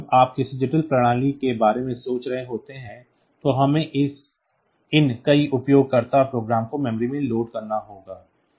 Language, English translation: Hindi, Like when you are thinking about any complex system, then we have to have these many user programs loaded into memory